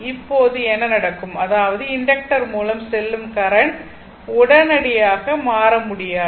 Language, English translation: Tamil, Now what will happen that your; that means, current through inductor cannot change instantaneously